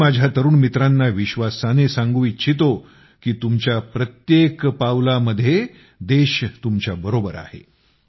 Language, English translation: Marathi, I want to assure my young friends that the country is with you at every step